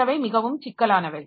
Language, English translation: Tamil, Some programs may be more complex